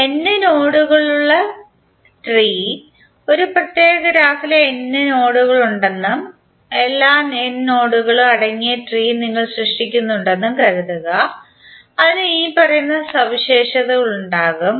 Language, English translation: Malayalam, Tree of n nodes, suppose if there are n nodes in a particular graph and we are creating tree containing all the n nodes then it will have the following property